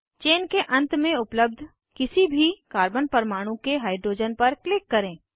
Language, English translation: Hindi, Click on hydrogen on any of the carbon atoms present at the end of the chain